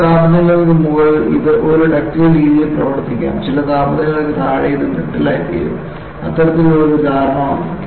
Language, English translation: Malayalam, Above certain temperatures, it may behave in a ductile fashion; below some temperature it may become brittle; that kind of an understanding came about